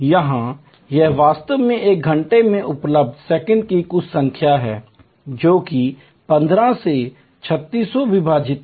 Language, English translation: Hindi, Here, this is actually the total number of seconds available in an hour, which is 3600 divided by 15